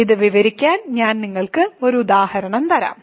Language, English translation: Malayalam, So, let me just do an example